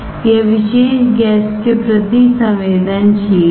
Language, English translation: Hindi, That is sensitive to particular gas